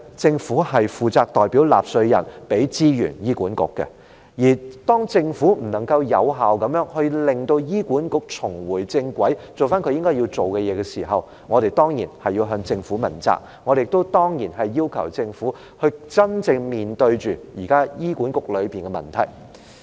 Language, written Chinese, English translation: Cantonese, 政府負責代表納稅人向醫管局提供資源，而當政府不能有效地令醫管局重回正軌，做回它應做的事時，我們當然要向政府問責，我們亦當然要求政府須真正面對現時醫管局內部的問題。, On behalf of taxpayers the Government is responsible for providing resources to HA . When the Government cannot effectively bring HA onto the right track so that HA will do what it should do we surely have to hold the Government accountable . Of course we also ask the Government to face up to the internal issues of HA at present